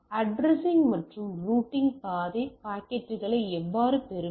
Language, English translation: Tamil, Addressing and routing how to the route packets